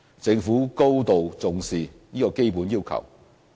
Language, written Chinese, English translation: Cantonese, 政府高度重視這基本要求。, The Government attaches great importance to this fundamental requirement